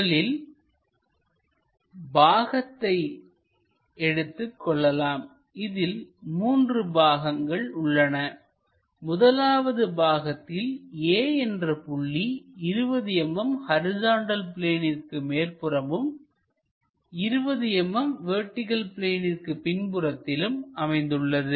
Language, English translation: Tamil, Let us pick the part 1, there are three parts the first part is there is a point A 20 mm above horizontal plane and 25 mm behind vertical plane